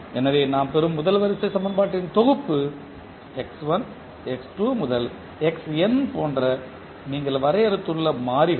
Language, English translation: Tamil, So, the set of the first order equation which we get in that the variables which you have define like x1, x2 to xn we call them as state variable